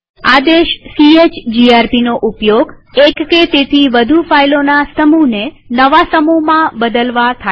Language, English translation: Gujarati, chmod command is used to change the access mode or permissions of one or more files